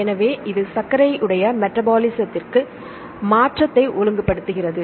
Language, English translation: Tamil, So, it regulates sugar metabolism